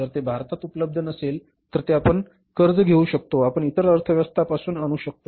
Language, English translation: Marathi, If it is not available in India you can borrow it, you can bring it from other economies